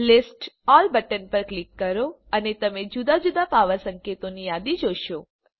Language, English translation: Gujarati, Click on List All button and you will see a list of various power notations